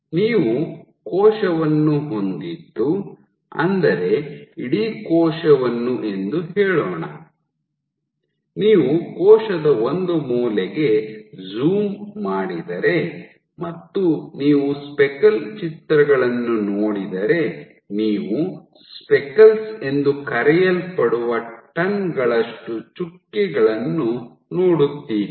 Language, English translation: Kannada, So, if you have the cell let us say a section you have this whole cell, you can zoom into one corner and if you look at the speckle images you would see tons of dots, tons of these dotted particles or speckles